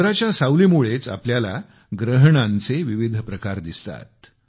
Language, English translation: Marathi, Due to the shadow of the moon, we get to see the various forms of solar eclipse